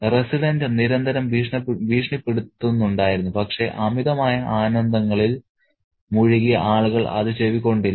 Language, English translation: Malayalam, The resident was constantly threatening, but people drenched in voluptuous pleasures were not listening